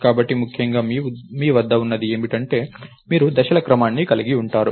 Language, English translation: Telugu, So, essentially what you have is you have a sequence of steps